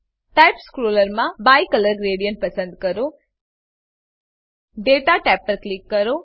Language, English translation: Gujarati, In the Type scroller select Bicolor gradient Click on Data tab